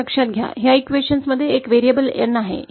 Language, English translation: Marathi, And note there is a variable N in this equation